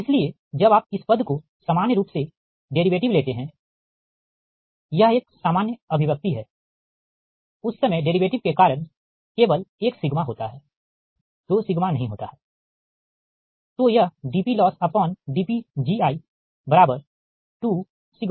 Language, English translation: Hindi, thats why this: when you take that derivative of this term in general, this is a general expression at that time there is no two sigma because of that derivative, only one sigma, right, so it will be